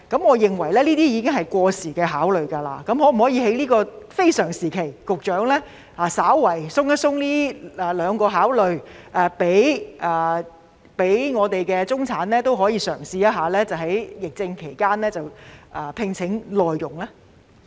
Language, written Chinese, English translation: Cantonese, 我認為這些已是過時的想法，局長可否在這個非常時期稍為放寬這兩方面的考慮，讓中產人士可以嘗試在疫症期間聘請內傭呢？, I think this thinking is outdated . In this very special time can the Secretary be slightly less insistent about these two considerations and allow middle - class people to try to hire MDHs during the pandemic?